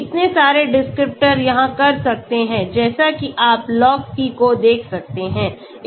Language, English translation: Hindi, so lot of descriptors it can do as you can see Log P